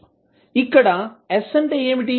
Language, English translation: Telugu, What is s